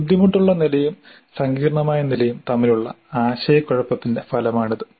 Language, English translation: Malayalam, These results from a confusion between difficulty level and complex level